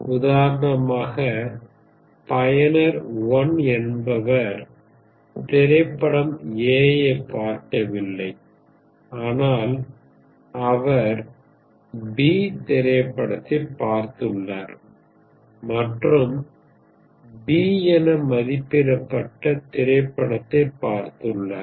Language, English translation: Tamil, For instance, user 1 has not seen movie A, but he has seen movie B and rated movie B